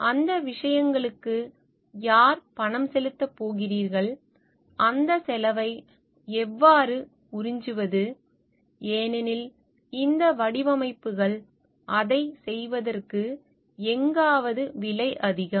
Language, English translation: Tamil, Who is going to pay for those things, how to absorb that cost because these designs are somewhere costly in order to do it